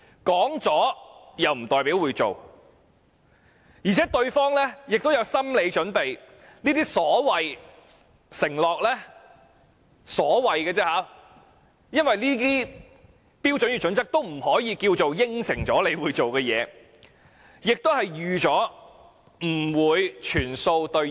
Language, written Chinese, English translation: Cantonese, 說了不代表會做，而且對方亦有心理準備，這些所謂承諾只是說說而已，因為《規劃標準》並非等於當局的承諾，市民亦預計不會全數兌現。, When we make a promise it means nothing if we have no intention of keeping it . Moreover the other party also has no expectation that such a promise will be kept because HKPSG is not a pledge made by the Government . In other words members of the public expect that not all the specified requirements will be met